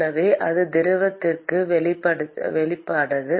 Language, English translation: Tamil, So, it is not exposed to the fluid